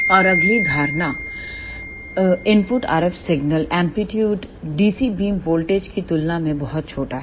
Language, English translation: Hindi, And the next assumption is input RF signal amplitude is very small as compared to the dc beam voltage